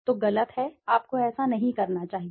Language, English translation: Hindi, So, wrong, you should not be doing it